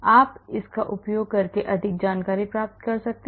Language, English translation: Hindi, And you can get more information using this